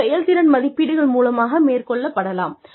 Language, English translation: Tamil, Could be through, performance appraisals